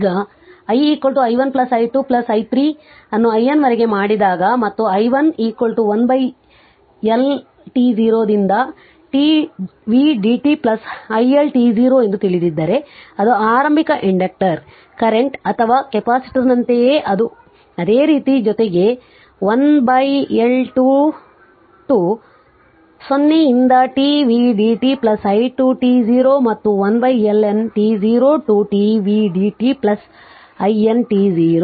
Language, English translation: Kannada, If you make it i is equal to i1 plus i2 plus i3 up to i N right and we know that i i1 is equal to 1 upon L1 t 0 to t v dt plus i1 t 0 that is initial inductor current or like like capacitor whatever we do it same thing plus 1 upon L 2 t 0 to t v dt plus i to t 0 and up to what you call 1 upon L N t 0 to t v dt plus i N t 0